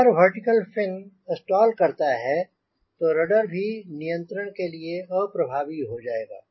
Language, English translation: Hindi, a vertical fin stalls, rudder also will be ineffective, so you wont be able to control